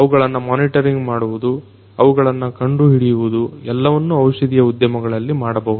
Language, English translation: Kannada, you know monitoring those, detecting those everything could be done in the pharmaceutical industry